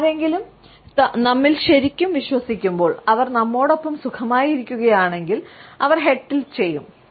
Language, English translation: Malayalam, When somebody really believes in us they are comfortable around with us, they will tilt their head